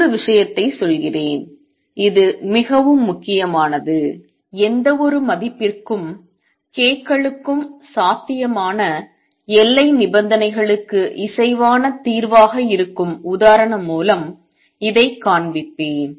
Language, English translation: Tamil, Let me make another point and this is very important, I will show this by the example that is the solution consistent with the boundary conditions possible for all k s for any value k s is it possible and the answer is no